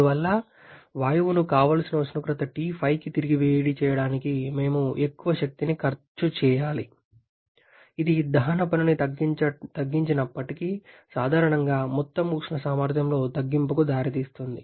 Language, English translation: Telugu, And therefore, to heat the gas back to the desired temperature T5, we need to spend in larger amount of energy, which despite the reduction in the combustion work requirement generally leads to reduction in the overall thermal efficiency